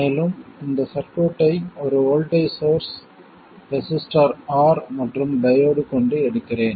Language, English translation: Tamil, And let me take this circuit with a voltage source, a resistor R and a diode